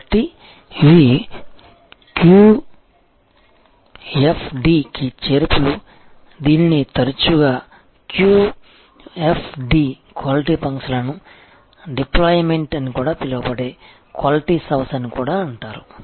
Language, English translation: Telugu, So, these are additions to QFD, this is also often called is house of qualities also often called QFD, Quality Function Deployment